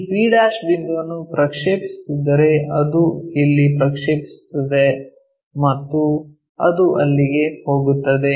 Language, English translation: Kannada, If we are projecting this point p' it projects there and that goes all the way there